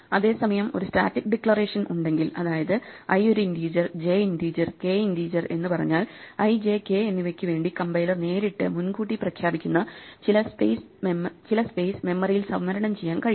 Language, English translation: Malayalam, On the other hand if I have a static declaration, then if I say that i is an integer and j is an integer and k is an integer then the compiler can directly declare in advance some space in the memory to be reserved for i, j and k